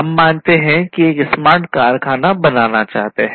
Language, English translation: Hindi, We want to build a smart factory